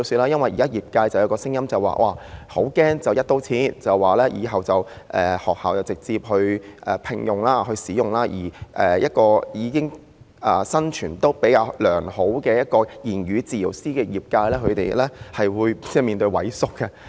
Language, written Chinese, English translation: Cantonese, 現在業界有聲音表示，很擔心"一刀切"，以後由學校直接聘用言語治療師及使用其服務，這樣對於生存環境比較良好的言語治療師業界而言，他們可能會萎縮。, There are now voices of the sector saying they are worried about an across - the - board arrangement with which schools will directly hire their speech therapists for services thereafter . To the speech therapy sector which has a relatively better environment to survive such an arrangement may cause it to wither